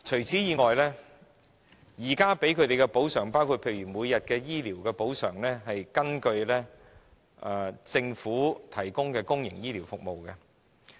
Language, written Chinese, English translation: Cantonese, 此外，現時向他們提供的補償——包括每天醫療費用的補償——是根據政府提供的公營醫療服務費用計算。, Besides the compensation provided to them at present including the compensation for everyday health care services is calculated on the basis of public health care services provided by the Government